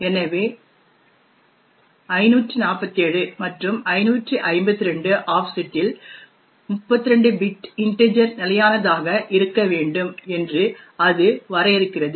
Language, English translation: Tamil, So, it defines it that at an offset of 547 and 552 a 32 bit integer needs to be fixed